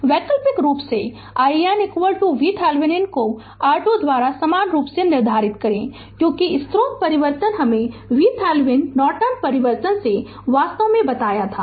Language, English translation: Hindi, Alternatively we can determine i n is equal to V Thevenin by R Thevenin same thing right because source transformation I told you from Thevenin Norton transformation actually